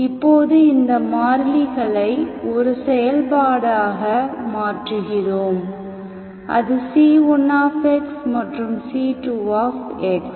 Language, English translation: Tamil, Now we vary these constants as a function, C1 x and C2 x